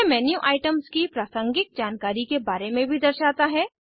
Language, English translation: Hindi, It also displays contextual information about menu items